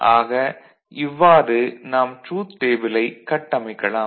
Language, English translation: Tamil, And we can get the truth table out of it